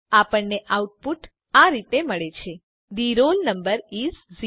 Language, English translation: Gujarati, We get the output as The roll number is 0